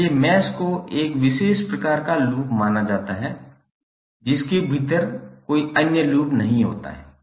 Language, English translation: Hindi, So mesh can be considered as a special kind of loop which does not contain any other loop within it